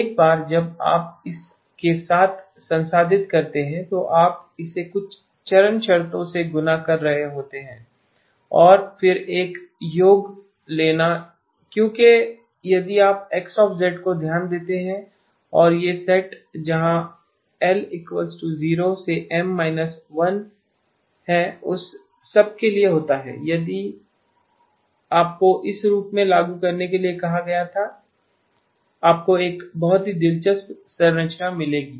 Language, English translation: Hindi, Once you have processed with that then you are multiplying it by some phase terms and then taking a summation because if you notice X of Z and this set where l minus 0 to M minus 1 happens for all of that